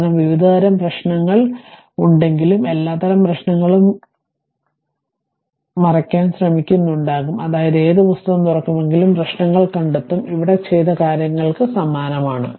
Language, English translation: Malayalam, Because, whatever various kinds of problems are there perhaps trying to cover all types of your problem, such that whatever whatever book you will open, you will find problems are almost similar to that whatever has been done here right